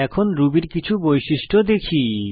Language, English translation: Bengali, Now let us see some features of Ruby